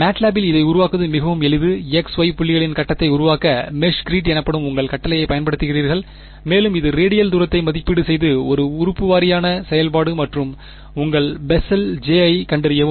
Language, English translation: Tamil, In MATLAB its very very simple to generate this so, you use your command called meshgrid to generate a grid of X, Y points and you evaluate the radial distance this is element wise operation and just find out your Bessel J